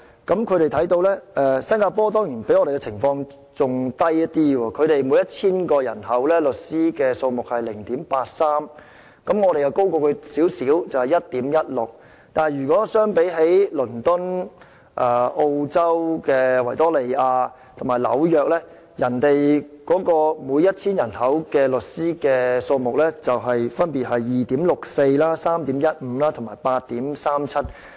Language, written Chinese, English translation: Cantonese, 新加坡在這方面的比例原來較香港的更低，他們每 1,000 人的律師數目是 0.83， 而我們是 1.16， 比他們高少許；但如果與倫敦、澳洲維多利亞省和紐約相比，他們每 1,000 人的律師數目分別是 2.64、3.15 和 8.37。, It turned out that the ratio in Singapore is lower than that in Hong Kong . It has 0.83 lawyer per 1 000 people and our ratio is 1.16 which is slightly higher . But in comparison London the state of Victoria in Australia and New York respectively have 2.64 3.15 and 8.37 lawyers per 1 000 people